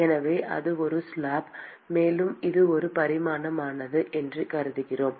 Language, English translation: Tamil, So, that is a slab; and we assume that it is one dimensional